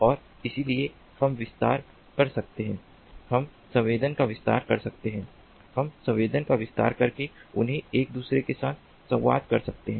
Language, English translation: Hindi, we can expand the sensing by having them communicate with one another